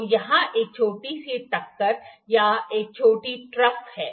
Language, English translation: Hindi, So, there is a small bump or some small trough here